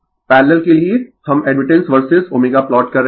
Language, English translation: Hindi, For parallel, we are plotting admittance versus omega